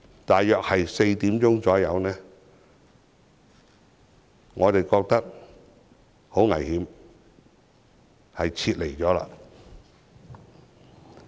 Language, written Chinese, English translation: Cantonese, 大約下午4時，我們覺得很危險，於是撤離。, At around 4col00 pm we considered the place very dangerous and so we left